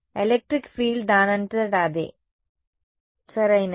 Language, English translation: Telugu, Electric field itself right